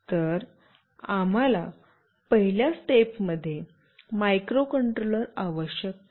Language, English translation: Marathi, So, we need a microcontroller on a first step